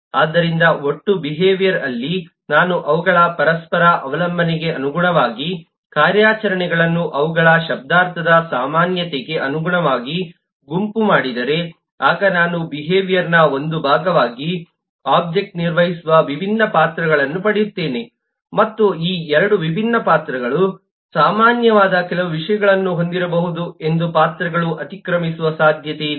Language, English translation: Kannada, so in a total behavior, if I group the operations according to their semantic commonality, according to their interdependence, then I will get the different roles that the object play as a part of the behavior and it is possible that roles may overlap, that these 2 different roles may have certain things which are common